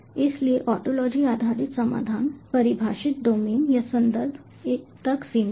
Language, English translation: Hindi, so ontology based solution is limited to the defined domain or context